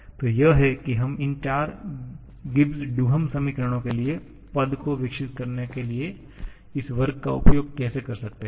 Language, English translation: Hindi, So, this is how we can make use of this square to develop the expressions for all these 4 Gibbs Duhem equations